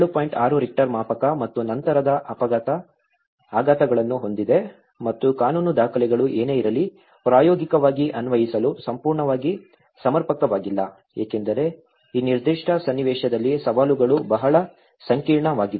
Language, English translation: Kannada, 6 Richter scale and having the aftershocks and that whatever the legal documents, they were not fully adequate to be applied in practice because the challenges are very complex, in this particular scenario